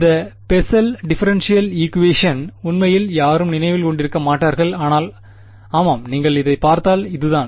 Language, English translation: Tamil, This Bessel differential equation no one will actually remember, but yeah I mean if you look it up this is what it is